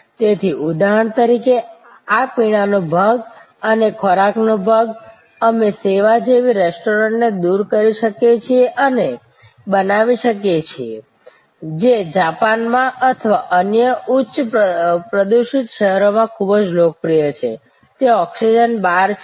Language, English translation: Gujarati, So, for example, this beverage part and food part, we can eliminate and create a restaurant like service, very popular in Japan or in other high polluted cities, there call oxygen bars